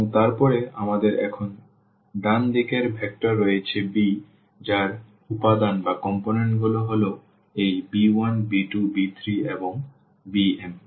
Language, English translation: Bengali, And then we have the right hand side vector here b whose components are these b 1 b 2 b 3 and b m